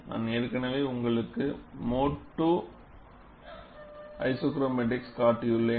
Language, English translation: Tamil, I have already shown you mode 2 isochromatics, a similar to mode 2 isochromatics